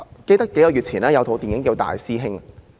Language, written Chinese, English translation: Cantonese, 記得數個月前，有一齣電影名為"大師兄"。, I recalled a movie titled Big Brother which was on several months ago